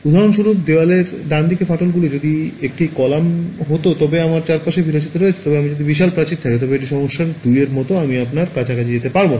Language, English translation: Bengali, For example, cracks in the wall right, if it were a column then I have the luxury of surrounding, but if I have a huge wall then it is like problem 2 then I cannot go around you know around it